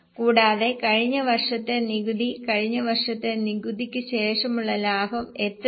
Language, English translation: Malayalam, And how much was last year's tax, last year's profit after tax